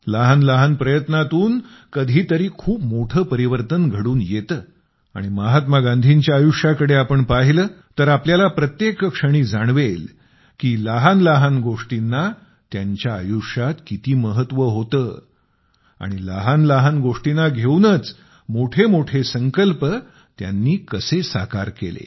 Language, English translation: Marathi, Through tiny efforts, at times, very significant changes occur, and if we look towards the life of Mahatma Gandhi ji we will find every moment how even small things had so much importance and how using small issues he accomplished big resolutions